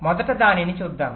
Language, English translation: Telugu, let us see that first